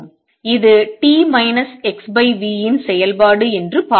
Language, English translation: Tamil, So, this is a function of x minus v t